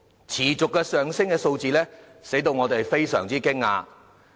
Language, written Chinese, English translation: Cantonese, 持續上升的數字令人非常驚訝。, The ever - rising figures are appalling